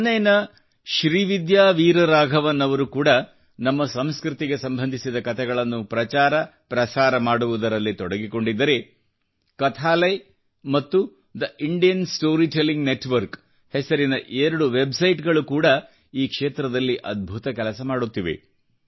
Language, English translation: Kannada, Srividya Veer Raghavan of Chennai is also engaged in popularizing and disseminating stories related to our culture, while two websites named, Kathalaya and The Indian Story Telling Network, are also doing commendable work in this field